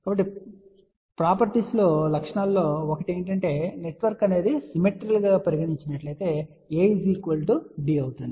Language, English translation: Telugu, So, one of the property is that if the network is symmetrical, then A will be equal to D